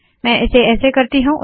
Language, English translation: Hindi, So we will do this as follows